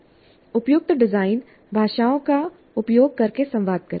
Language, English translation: Hindi, Communicate using the appropriate design languages